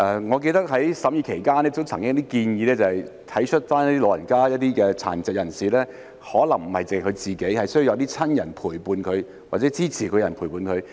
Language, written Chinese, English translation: Cantonese, 我記得在審議期間曾經有建議，就是要體恤老人家及殘疾人士，他們可能需要有親人或照顧者陪伴。, I remember that during the scrutiny it was suggested that we should empathize with the elderly and persons with disabilities who might need the company of their relatives or carers